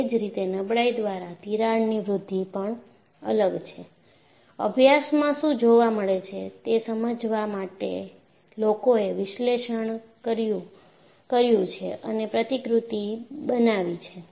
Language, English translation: Gujarati, Similarly, a growth of a crack by fatigue is different, people have analyzed and have form models, to explain what is observed in practice